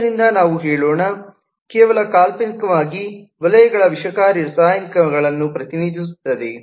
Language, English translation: Kannada, so let us say, just hypothetically, the circles represent toxic chemicals